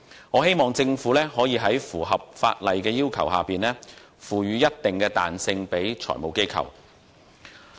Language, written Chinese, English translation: Cantonese, 我希望政府可以在符合有關法例要求的情況下，賦予財務機構一定彈性。, I hope that the Government can give FIs certain flexibility as long as the relevant statutory requirements are met